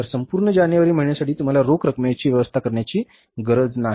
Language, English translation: Marathi, So, for the whole of the month of January, you don't need to arrange the cash